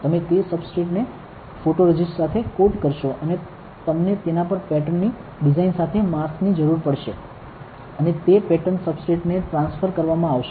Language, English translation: Gujarati, You will coat that substrate with the photoresist and you need a mask with the pattern design on it, and that pattern will be transferred onto the substrate correct